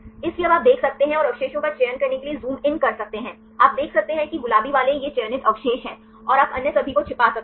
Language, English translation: Hindi, So, now you can see and you can zoom in to select the residues, you can see the pink ones these are the selected residues and you can hide all others